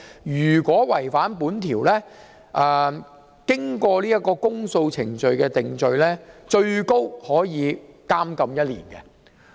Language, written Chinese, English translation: Cantonese, "如違反這項條文，經循公訴程序定罪，最高刑罰為監禁1年。, Anyone who contravenes this provision is liable on conviction on indictment to a maximum imprisonment of one year